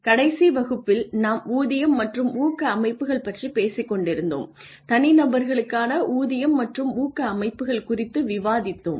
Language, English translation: Tamil, In the last class we were talking about Pay and Incentive Systems and we discussed the pay and incentive systems for individuals